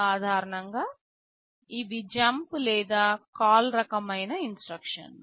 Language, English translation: Telugu, Typically these are jump or call kind of instructions